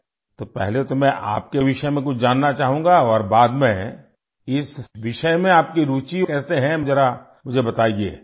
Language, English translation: Urdu, So, first I would like to know something about you and later, how you are interested in this subject, do tell me